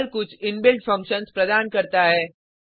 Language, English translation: Hindi, Perl provides several inbuilt functions